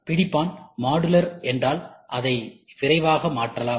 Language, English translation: Tamil, The fixture if it is modular, it is quick to change